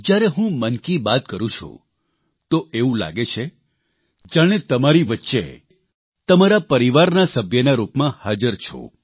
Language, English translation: Gujarati, When I express Mann Ki Baat, it feels like I am present amongst you as a member of your family